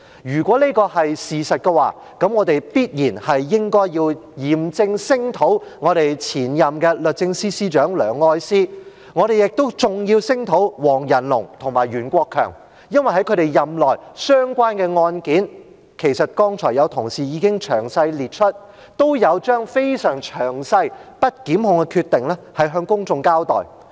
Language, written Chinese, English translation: Cantonese, 如果這是事實，我們便應嚴正聲討前任律政司司長梁愛詩，我們亦要聲討黃仁龍及袁國強，因為在他們任內相關的案件——其實剛才有同事已經詳細列出——都有將非常詳細、不檢控的決定向公眾交代。, Had this been true we should have solemnly denounced the former Secretaries for Justice Ms Elsie LEUNG Mr WONG Yan - lung and Mr Rimsky YUEN because they did during their terms of office explain to the public in great detail the decisions of non - prosecution in some cases which our Honourable colleagues have in fact enumerated earlier on